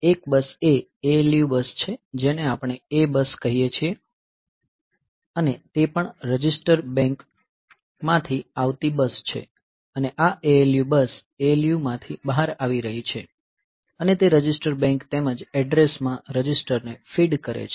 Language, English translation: Gujarati, So, one bus is the ALU bus which we call A bus and also it is A bus coming from the register bank and this ALU bus is coming out of the ALU and it is feeding the register bank as well as the address registers